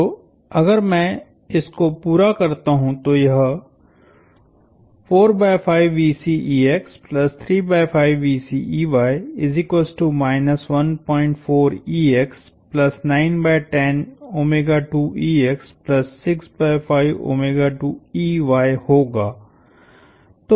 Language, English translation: Hindi, So, if I complete this